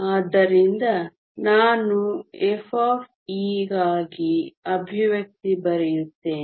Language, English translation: Kannada, So, let me write the expression for f of e